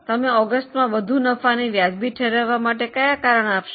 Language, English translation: Gujarati, Can you give any reasoning for more profits in August